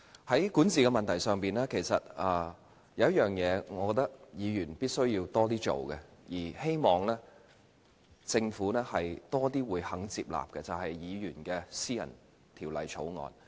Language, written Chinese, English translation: Cantonese, 在管治問題上，有一件事我覺得是議員必須多做的，希望政府亦要多些接納，就是議員的私人條例草案。, With regard to issues relating to governance I think there is an aspect that Members should work on more and I hope the Government will be more willing to accept it as well which is the introduction of private bills by Members